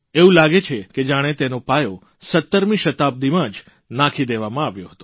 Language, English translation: Gujarati, One feels the foundation of the idea was laid in the 17th century itself